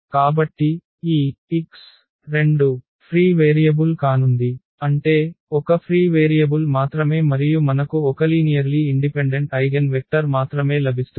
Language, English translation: Telugu, So, this x 2 is going to be the free variable; that means, only one free variable and we will get only one linearly independent eigenvector